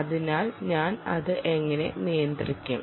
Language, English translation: Malayalam, therefore, how do i manage that